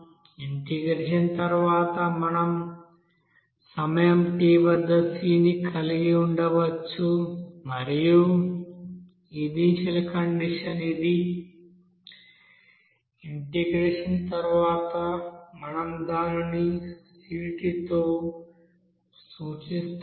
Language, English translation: Telugu, So from this after integration we can have the c at time t and initial condition suppose c0 that will be is equal to